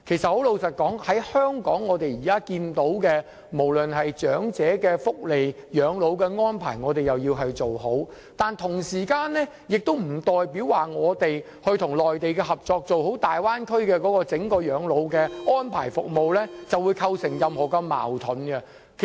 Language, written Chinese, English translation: Cantonese, 坦白說，香港現時要做好長者的福利、養老安排，但不代表這會對我們與內地合作做好大灣區整個養老的安排服務構成任何矛盾。, Frankly speaking Hong Kongs efforts in improving elderly welfare and elderly care arrangements will not be contradictory to our cooperation with the Mainland in upgrading the overall elderly care arrangements and services in the Bay Area